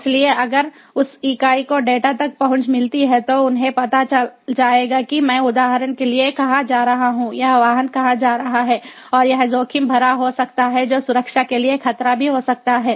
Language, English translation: Hindi, so if that entity gets access to the data, they will know that where i am going to, for a, for example, where this vehicle is going to, and that could be risky, that could be even a security threat